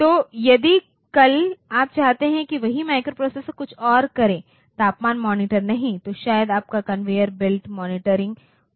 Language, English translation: Hindi, So, if tomorrow you want that same microprocessors to do something else not the temperature monitoring, but maybe say your conveyor belt monitoring the conveyor belt control operates the application